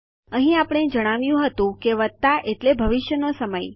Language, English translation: Gujarati, Here we said plus which meant that the time is in the future